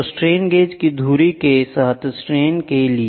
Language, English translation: Hindi, So, for strain along the axis of the strain gauge